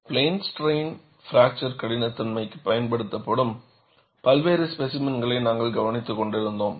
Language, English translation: Tamil, We were looking at various specimens that are used for plane strain fracture toughness